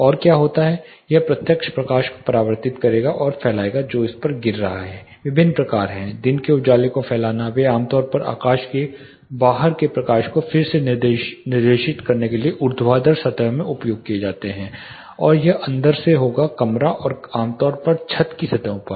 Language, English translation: Hindi, These are inserted and what happen this will reflect and diffuse the direct light which is falling on it different types are there simple diffuse daylight they are normally used in vertical plane facades to redirect light from outside the sky and it will be reflected into the inside the room and typically on the ceiling surfaces